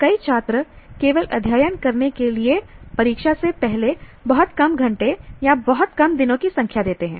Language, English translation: Hindi, Many students merely what do you call, they give very small number of hours or very small number of days before the exam to study